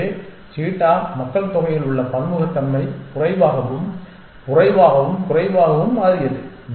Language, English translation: Tamil, So, the genetic the diversity in the cheetah population became less and less and less essentially